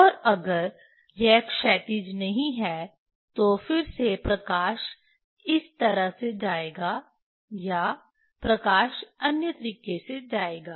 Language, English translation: Hindi, And if it is not horizontal, again light will go this way or light will go other way